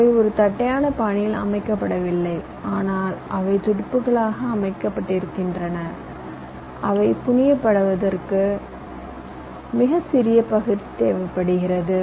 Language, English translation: Tamil, now they are not laid out in a flat fashion but they are laid out as fins which require much smaller area to fabricate